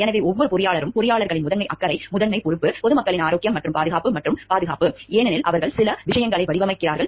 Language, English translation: Tamil, So, every engineer because the primary concern the primary responsibility of the engineers are the health and safety and protection of the public at large, because they are designing certain things